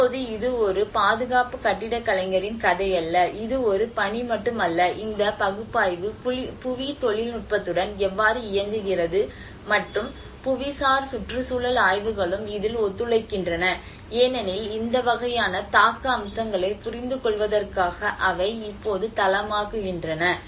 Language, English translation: Tamil, Now, it is not a story of a conservation architect, it is not only a task but how this analysis works with the geotechnical and the geoenvironmental studies also collaborate in it because they becomes the base now in order to understand the impact aspects of this kind of case that is risk aspect